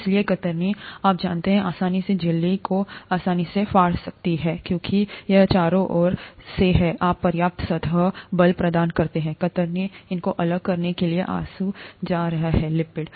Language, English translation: Hindi, Therefore shear, you know, can easily, can quite easily tear the membrane apart because they are all floating around, okay, you provide enough surface force, the shear is going to tear apart these lipids